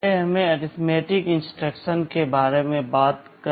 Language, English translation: Hindi, First let us talk about the arithmetic instructions